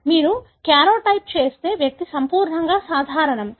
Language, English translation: Telugu, If you do a karyotype, the individual is perfectly normal